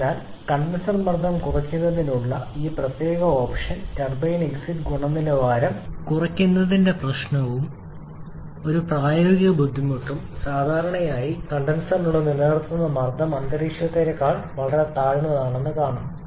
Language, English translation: Malayalam, So, this particular option of decreasing the condenser pressure comes with a problem of reduction in turbine exit quality and also a practical difficulty that is we are generally the pressure in maintained inside the condenser is well below the atmospheric pressure